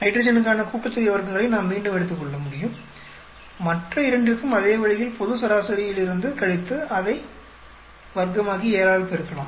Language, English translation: Tamil, Then again we can take the sum of squares for nitrogen, the same way for the other two from by subtracting it from the global average, square it up and multiply by 7